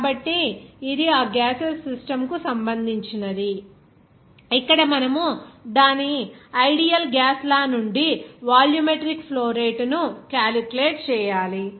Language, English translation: Telugu, So, this is regarding that gaseous system where you have to calculate the volumetric flow rate from its ideal gas law